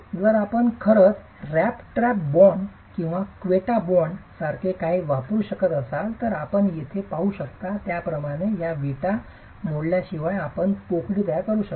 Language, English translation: Marathi, If you can actually use something like the rat trap bond or the quetta bond, you can create a cavity without having to break these bricks into funny patterns like the one that you see here